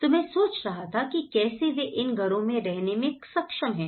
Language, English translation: Hindi, So, I was wondering how could they able to live in these houses